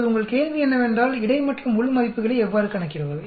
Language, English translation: Tamil, Now your question is how do you calculate the between and within